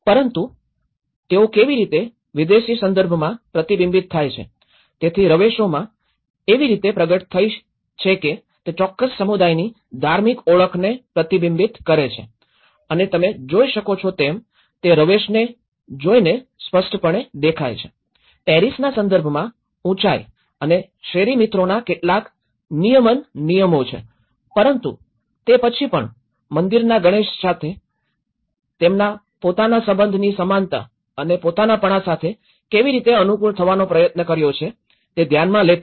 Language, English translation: Gujarati, But how they are reflected back in a foreign context, so the facades have been manifested in such a way, that they reflect the identity of the religious identity of that particular community and what you can see is so by looking it the facade so obviously, there are certain control regulations of heights and the street friends in the Paris context but then still considering those how they have tried to fit with this with a setting of their own sense of belonging and similarly, with the temple Ganesh